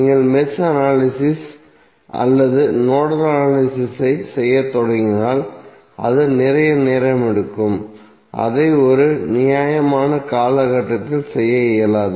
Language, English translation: Tamil, And if you start doing the mesh analysis or nodal analysis it will take a lot of time and it will be almost impossible to do it in a reasonable time frame